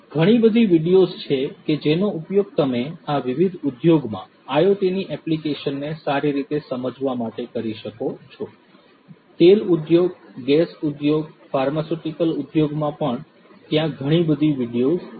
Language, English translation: Gujarati, There are lots of videos that you could also use to you know get better understanding of these the applications of IoT in this different industry; even in the oil industry, gas industry, pharmaceutical industry, there are a lot of different videos